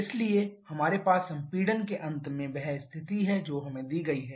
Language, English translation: Hindi, So, we have the state at the end of compression it is given to us